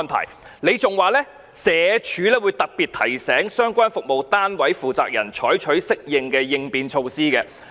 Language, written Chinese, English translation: Cantonese, 他亦指出，社署會特別提醒相關服務單位負責人採取適當的應變措施。, He has also pointed out that SWD will remind the persons - in - charge of the relevant service units specifically to adopt appropriate contingency measures